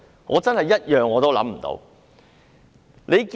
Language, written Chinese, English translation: Cantonese, 我真的一點也想不到。, I really cannot think of any single one